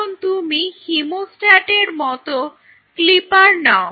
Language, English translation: Bengali, Now, you take a hemostat kind of things clippers